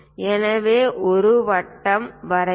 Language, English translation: Tamil, So, draw a circle